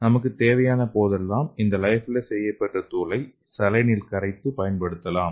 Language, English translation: Tamil, And whenever we need it, we can just dissolve this lyophilized powder in saline and we can use it